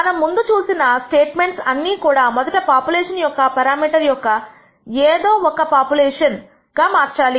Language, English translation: Telugu, The statements that previously we saw have to be first converted into a test of a parameter of some population